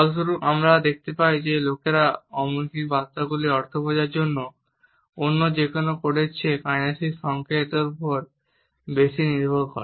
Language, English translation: Bengali, Consequently, we find that people rely more on kinesic cues than any other code to understand meanings of nonverbal messages